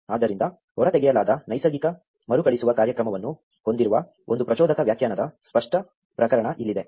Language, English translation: Kannada, Here is the clear case of an inductive definition that has a natural recursive program extracted from it